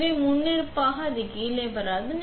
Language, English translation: Tamil, So, by default this will not come down